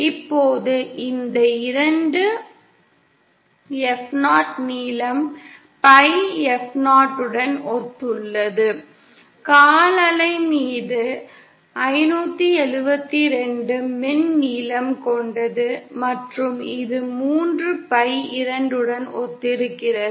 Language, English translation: Tamil, Now this 2 F0 also corresponds to the length pi F0 corresponds, as we know on a quarter wave is of length 572 electrical length and this corresponds to 3 pi upon 2